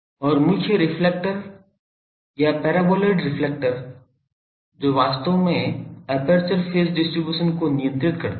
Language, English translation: Hindi, And the main reflector or paraboloid reflector that actually controls the aperture phase distribution